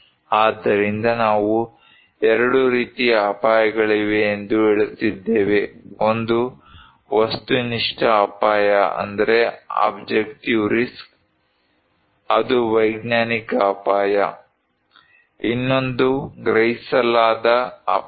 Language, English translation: Kannada, So, we are saying that there are 2 kind of risk; one is objective risk that is scientific risk; another one is the perceived risk